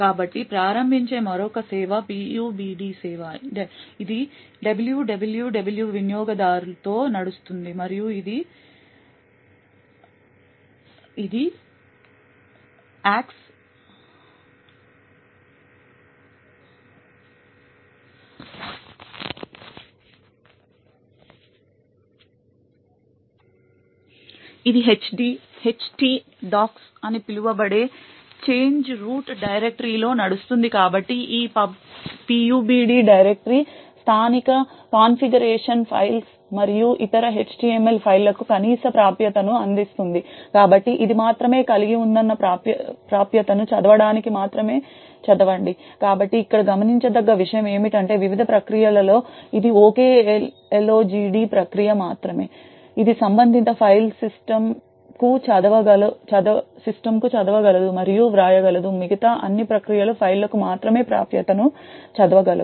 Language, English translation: Telugu, So another service which gets started is the PUBD service, this runs with the user www and it runs in a change root directory called ht docs, so this PUBD directory provides the minimal access to the local configuration files and other html files so it has only read only access that is present, so one thing to actually note over here is that among the various processes it is only the OKLOGD process which is able to read and write to the corresponding file system, all other processes have only read access to the files